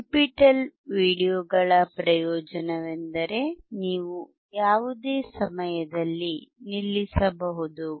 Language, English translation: Kannada, The advantage of NPTEL videos is that you can stop at any time